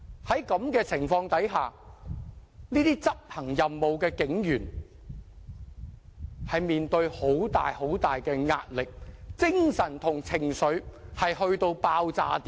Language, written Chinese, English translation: Cantonese, 在這種情況下，這些執行任務的警員承受很大壓力，精神和情緒都達到爆炸點。, Under such circumstances these policemen were under immense pressure in discharging their duties reaching the point of explosion both mentally and emotionally